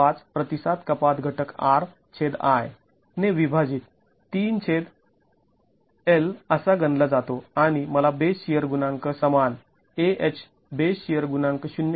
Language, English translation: Marathi, 5 divided by the response reduction factor R by I, 3 divided by 1 and I get a base share coefficient equal to, base share coefficient AH is equal to 0